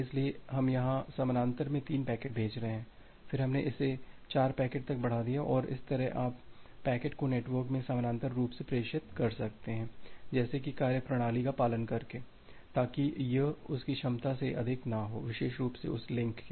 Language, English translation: Hindi, So, here we are sending 3 packets in parallel, then again we have increased it to 4 packets and that way, you can push the packets parallelly in the network such that by following a mechanism, such that it does not exceed the capacity of that particularly link